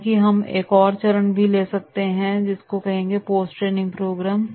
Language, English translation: Hindi, However, one more stage we can take and that is the post training program